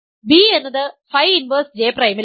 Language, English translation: Malayalam, So, its image is phi of phi inverse J prime